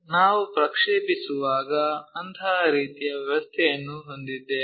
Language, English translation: Kannada, When we are projecting that we will have such kind of arrangement